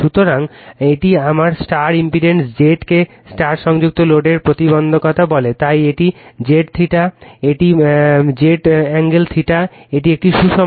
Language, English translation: Bengali, So, this is my star impedance Z your what you call your impedance of the star connected load, so that is Z theta, it is Z angle theta, it is balanced one